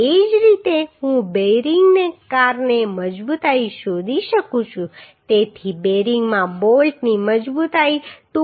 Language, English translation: Gujarati, Similarly I can find out the strength due to bearing so bolt in strength of bolt in bearing will be 2